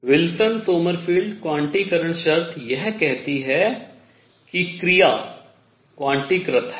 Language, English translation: Hindi, So, Wilson Sommerfeld quantization condition is consistent with Bohr’s quantization conditions